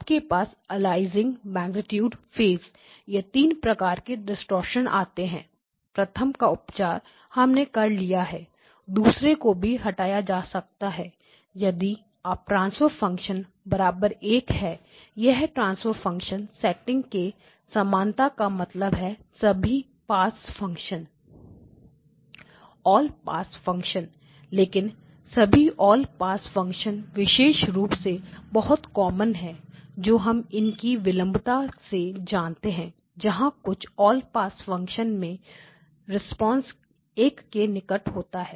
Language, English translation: Hindi, So, you have aliasing, magnitude, phase three types of distortions one of them has been removed the second one can be removed only if you have that transfer function equal to 1 but this transfer function setting it equal to this basically means that it is an all pass function but all pass function typically the most common all pass functions that we know of our delays right of course there are filters that have a response which is very close to one